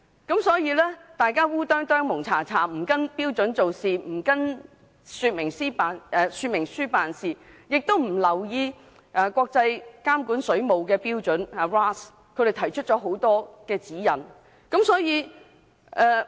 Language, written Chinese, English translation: Cantonese, 大家胡里胡塗的不按照標準及說明書做事，亦不留意國際監管水務標準提出的指引。, Out of ignorance workers may carry out sub - standard water works inconsistence with the instruction manuals and paying no attention to the guidelines published by WRAS